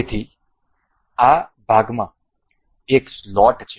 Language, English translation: Gujarati, So, this part has a slot into it